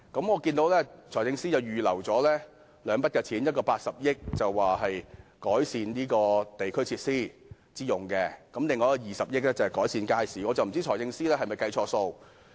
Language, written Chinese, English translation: Cantonese, 我看到財政司司長預留了兩筆款項，分別是用80億元增加地區設施，以及用20億元在未來10年推行街市現代化計劃。, I note that the Financial Secretary has earmarked two provisions namely 8 billion for the improvement of district facilities and 2 billion for the implementation of the Market Modernization Programme in the next 10 years